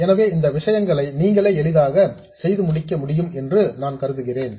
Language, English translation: Tamil, So, I assume that you can work out these things quite easily by yourselves